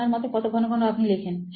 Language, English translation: Bengali, How frequently do you think you write